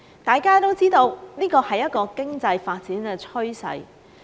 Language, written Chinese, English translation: Cantonese, 大家都知道，這是經濟發展的趨勢。, We all know that this is an economic development trend